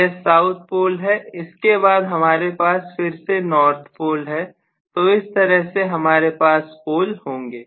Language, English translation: Hindi, This is south pole, again I am going to have a north pole whatever, so I am going to have the pole somewhat like this